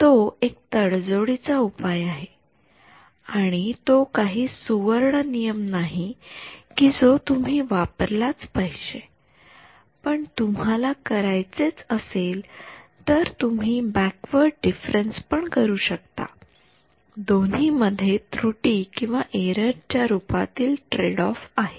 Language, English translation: Marathi, So, that is a compromise solution it is not a golden rule that you have to do this if you really want to do you could do backward difference also both will have some tradeoff in terms of the error